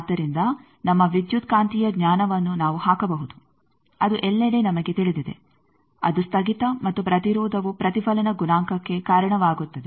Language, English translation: Kannada, So, we can put our electromagnetic knowledge that everywhere we know that this discontinuity and impedance that will give rise to a reflection coefficient